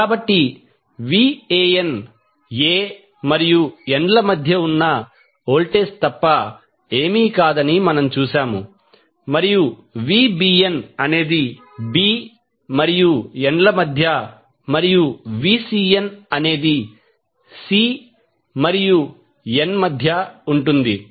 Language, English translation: Telugu, So, we have seen that Van is nothing but what is between A N and lines Vbn is between B and N and Vcn is between CN neutral